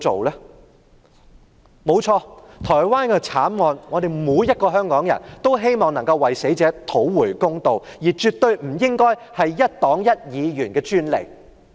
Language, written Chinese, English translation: Cantonese, 對於台灣的慘案，每個香港人也希望能夠為死者討回公道，但這絕對不應該是一黨一議員的專利。, For the Taiwan tragedy every Hong Kong citizen hopes that justice will be done for the deceased but this should by no means be the exclusive right of one political party or one Member